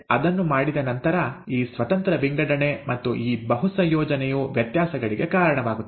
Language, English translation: Kannada, Having done that, and this independent assortment and this multiple combinations is what leads to variations, alright